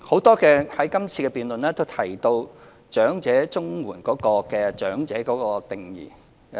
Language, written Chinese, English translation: Cantonese, 在今次辯論，多位議員提到長者綜援的長者定義。, In this debate a number of Members have mentioned the definition of old age under the elderly CSSA